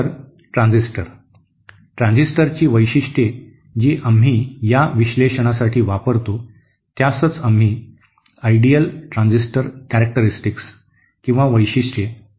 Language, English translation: Marathi, So the transistor, the characteristics of the transistor that we use for this analysis is what we called ideal transistor characteristics